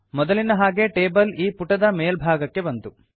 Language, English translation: Kannada, So as before the table got placed at the top of this page